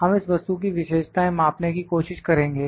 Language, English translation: Hindi, We will try to measure the features of this component